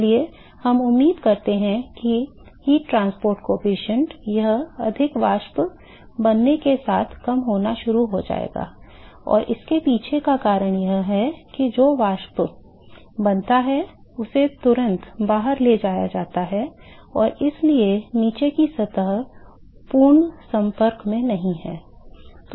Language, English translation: Hindi, So, therefore, we expect the heat transport coefficient it will start decreasing with the with the more vapor that is formed, and the reason behind is that the vapor which is formed is immediately transported out and so, they are not in complete contact with the bottom surface